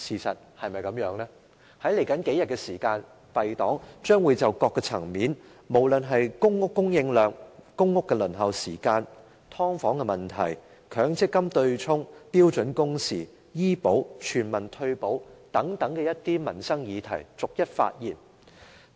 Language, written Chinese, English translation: Cantonese, 在接下來的數天，敝黨將會從各個層面，包括公屋供應量、公屋輪候時間、"劏房"問題、強積金對沖、標準工時、醫保及全民退保等民生議題逐一發言。, In the coming few days our party will speak on his performance in different policy areas one after another including public rental housing PRH supply PRH waiting time subdivided units the offsetting mechanism under the MPF System standard working hours health care insurance and universal retirement protection